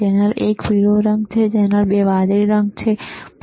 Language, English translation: Gujarati, Channel one is yellow color, channel 2 is blue color, right